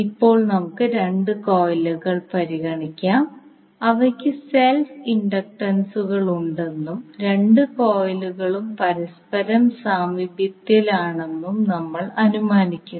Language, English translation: Malayalam, Now let us consider 2 coils and we assume that they have the self inductances L1 and L2 and both coils are placed in a close proximity with each other